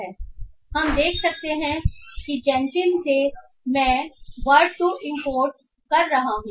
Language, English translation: Hindi, So we can see that from Gensim I am importing word to wake